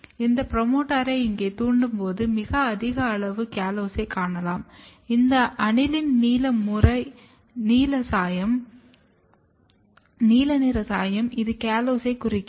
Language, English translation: Tamil, And when you induce this promoter here, you can see very high amount of callose, this blue color is aniline blue staining, it stains the callose